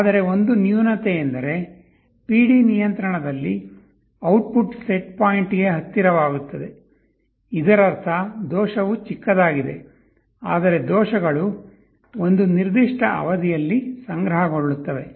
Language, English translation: Kannada, But one drawback is that that in the PD control the output becomes close to the set point; that means, the error is small, but errors tend to accumulate over a period of time